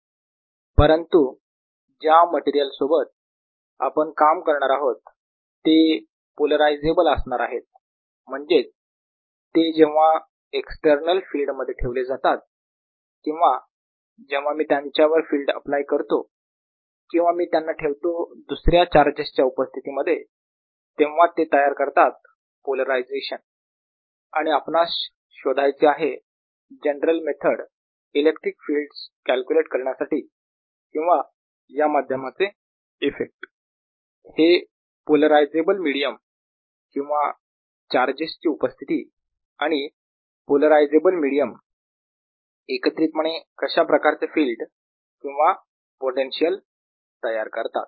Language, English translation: Marathi, however, the materials that we are going to deal with are going to be polarizable, that is when they are put in external feel, if i apply a field to it or put it in presence of other charges, they are going to create a polarization, and what we would like to know is develop a general method to calculate electric fields or the effects of these media, these media, polarizable media or presence of charges, ah, and the polarizable medium together, what kind of fields or potential does it give rise to